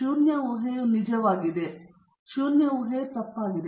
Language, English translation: Kannada, The null hypothesis is true; null hypothesis is false